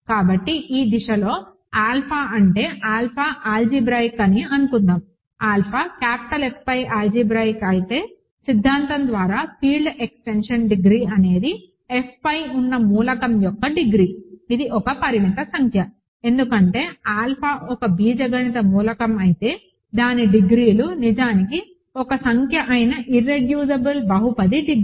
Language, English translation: Telugu, So, in this direction alpha is, suppose alpha is algebraic, if alpha is algebraic over capital F then by the theorem the degree of the field extension is the degree of the element over F which of course is a finite number, right because what is if alpha is an algebraic element its degrees, the degree of irreducible polynomial which is actually a number